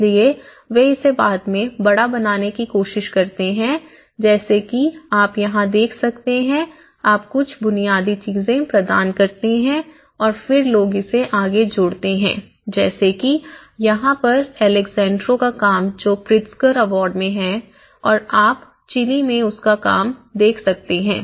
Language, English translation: Hindi, So, they try to make in a kind of bigger like what you can see here, is you provide some basic things and then people add on to it you know like here the Alejandro’s work which has been in Pritzker award and you can see his work in Chile